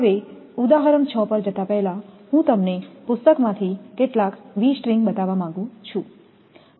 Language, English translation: Gujarati, So, before going to the example 6, just from the book I would like to show you that V string